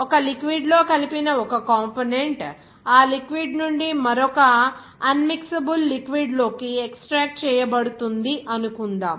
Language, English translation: Telugu, Suppose a component that is mixed in a certain liquid will be extracted from that liquid to another unmixable liquid